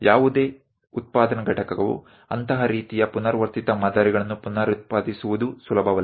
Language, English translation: Kannada, It might not be easy for any manufacturing unit to reproduce such kind of repeated patterns